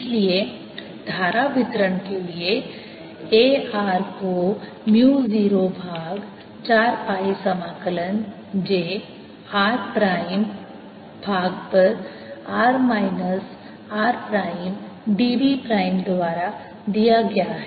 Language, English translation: Hindi, i have a r is equal to mu zero over four pi integral d l prime over r minus r prime